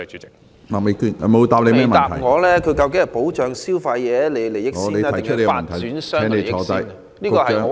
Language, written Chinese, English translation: Cantonese, 局長沒有回答我，他究竟先保障消費者的利益，還是發展商的利益？, The Secretary did not give me a reply on whether his priority task is to protect consumer interest or that of developers